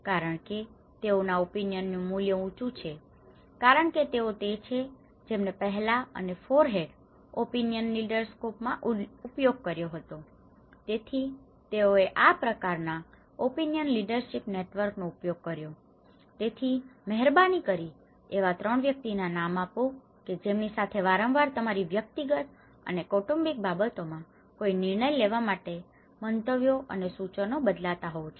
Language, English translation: Gujarati, Because that is where because their opinion is a higher value because they are the one who used it in the first and forehand, opinion leader score; so they have used the kind of opinion leadership network so, please name us 3 persons with whom you often turn for opinions and suggestions to make any decisions on your personal and family matters